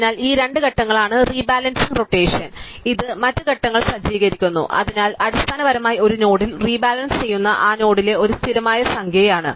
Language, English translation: Malayalam, So, rebalancing is these two steps and rotation this is set up other steps, so basically rebalancing at a given node is a constant number operations at that node